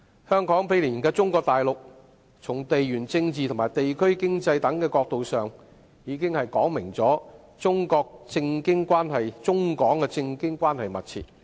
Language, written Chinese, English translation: Cantonese, 香港毗連中國大陸，從地緣政治和地區經濟等角度上已說明了中港政經關係密切。, Given the proximity of Hong Kong and Mainland China there has been close political and economic relationship between the two places from the geo - political and district economy perspectives